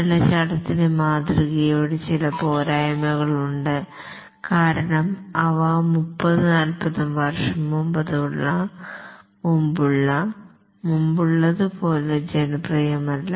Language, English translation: Malayalam, There are some severe shortcomings of the waterfall model because of which they are not as popular as they were about 30, 40 years back